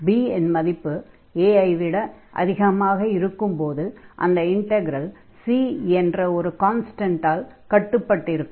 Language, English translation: Tamil, So, here for any value b here, which is greater than a, if this integral is bounded by a constant C, it is this C is not depending on the number b here